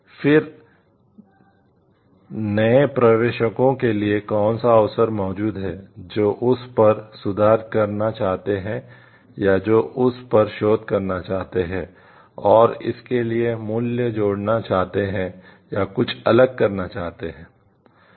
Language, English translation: Hindi, Then what is the opportunity present for the new entrants, who want to improve on that or who want to research on that, and add value to it or do something different